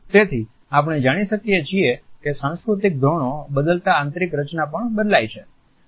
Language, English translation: Gujarati, So, we find that with changing cultural norms the interior space designs also change